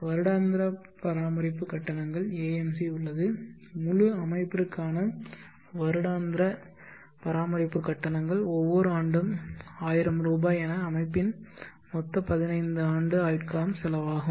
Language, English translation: Tamil, There is a MC annual maintenance charges for the entire system is rupees thousand every year for the total 15 years lifespan of the system